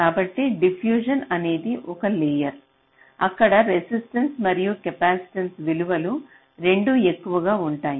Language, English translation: Telugu, so diffusion is one layer where both the resistance and the capacitance values are higher